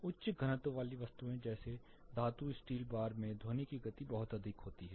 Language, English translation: Hindi, Material like dense material like metal steel bar with a high density then the speed of sound is really high